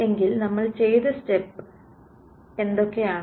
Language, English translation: Malayalam, So, what are the steps that we did